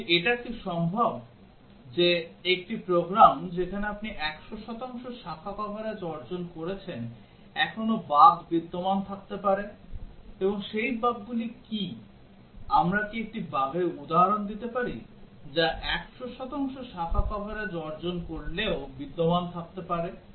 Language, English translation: Bengali, But is it possible that a program where you have achieved 100 percent branch coverage still bugs can exist; and what are those bugs, can we give an example a bug which can exist even if we achieve 100 percent branch coverage